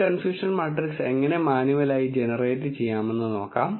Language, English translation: Malayalam, Let us see how to generate this confusion matrix manually